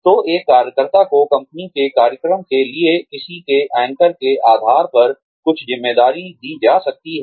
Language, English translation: Hindi, So, a worker can be given, some responsibility, for a company program, based on one's anchors